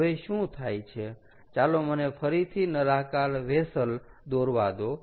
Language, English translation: Gujarati, now what happens is maybe let me draw this again the cylindrical vessel, right